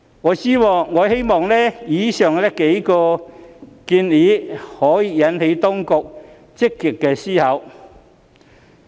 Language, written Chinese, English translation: Cantonese, 我希望以上幾個建議能引起當局積極思考。, I hope the aforesaid suggestions can be proactively considered by the authorities